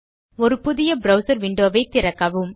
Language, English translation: Tamil, Open a new browser window